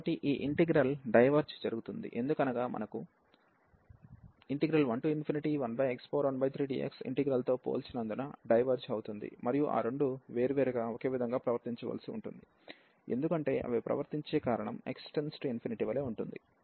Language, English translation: Telugu, So, this integral diverges because we have a compared this with 1 to infinity 1 over x power 1 by 3 d x integral, and they both has two different has to be behave the same because of the reason that they behave their behaviour is same as x approaches to infinity, well